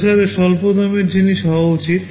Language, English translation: Bengali, The processor should be a low cost thing